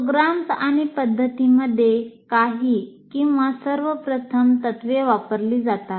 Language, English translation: Marathi, So programs and practices use some are all of the first principles